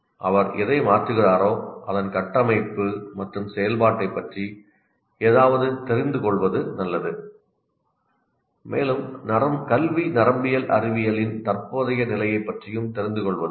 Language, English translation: Tamil, It is good to know something about the structure and functioning of what is changing and also be familiar with the current state of educational neuroscience